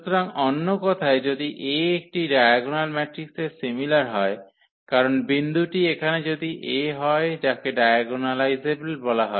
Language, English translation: Bengali, So, in other words if A is similar to a diagonal matrix, because if the point is here A is called diagonalizable